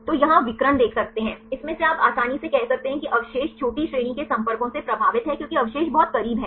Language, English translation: Hindi, So, here you can see the diagonal, from this one you can easily say that the residues are influenced with the short range contacts because the residues are very close